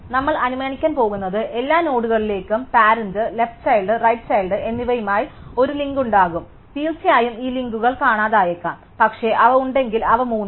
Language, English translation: Malayalam, So, every node we are going to assume will have a link to it is parent, left child and right child of course, these links maybe missing, but if they are there then they all three